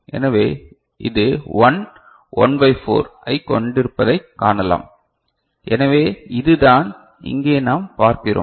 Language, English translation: Tamil, So, we can see that this is about plus 1 1 upon 4, so that is what we see over here right